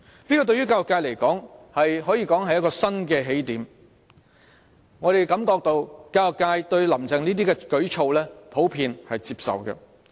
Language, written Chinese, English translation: Cantonese, 對教育界而言，這可說是新起點，而我們感到教育界普遍對"林鄭"的這些舉措是接受的。, This to the education sector can be regarded as a new starting point and we feel that these initiatives taken by Carrie LAM are generally considered acceptable by the education sector